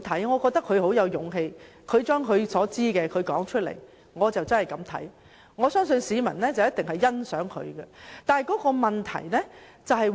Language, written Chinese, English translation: Cantonese, 我覺得他很有勇氣，把他所知道的說出來，我真的是這樣看，而我相信市民一定是欣賞他的。, I think he is very brave to tell us what he knows . I truly think so and I think members of the public will appreciate him for that